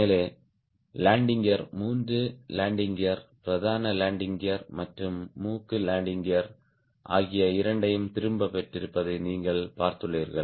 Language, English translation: Tamil, you have seen that the landing gear, all three landing gears, both main landing gears and on the nose landing gear, have retracted